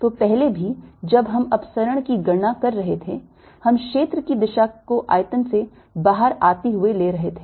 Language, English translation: Hindi, so, ah, earlier also, when we were calculating divergence, we were taking area direction to be coming out of the volume